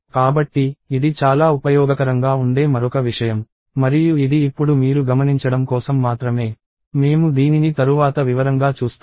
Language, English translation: Telugu, So, this is another thing that comes very handy and this is just for you to notice now, we will see this in detail later